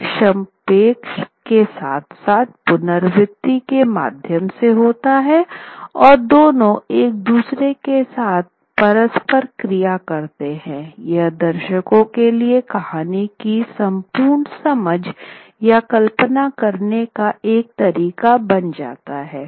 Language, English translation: Hindi, One is through abbreviation as well as through refrain, through repetition, and both of them interplay with each other because it becomes a way for the audience to sort of understand or visualize the entire story